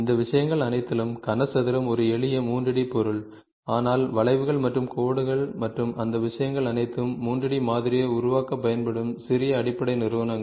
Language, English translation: Tamil, So, all these things cube versus is a simple 3 D object, but what we saw curves and lines and all those things are small basic entities which can be use to develop 3 D model